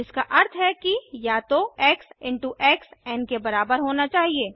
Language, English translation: Hindi, Which means either x into x must be equal to n